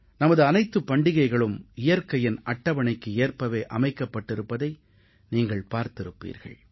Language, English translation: Tamil, You would have noticed, that all our festivals follow the almanac of nature